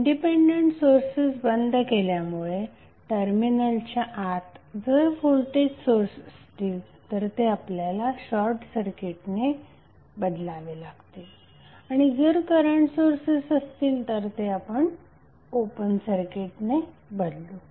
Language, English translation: Marathi, Turning off the independent sources means if you have the voltage source inside the terminal you will replace it with the short circuit and if you have current source you will replace it with the open circuit